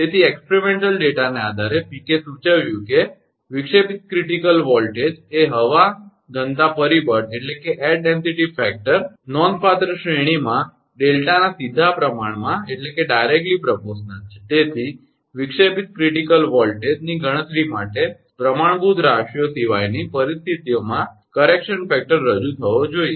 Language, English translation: Gujarati, So, based on experimental data Peek suggested that, the disruptive critical voltage is directly proportional to the air density factor delta, over a considerable range therefore, a correction factor should be introduced, for a calculation of disruptive critical voltage, at conditions other than standard ones, right